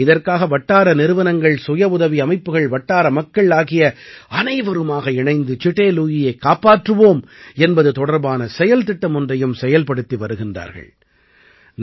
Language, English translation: Tamil, For this, local agencies, voluntary organizations and local people, together, are also running the Save Chitte Lui action plan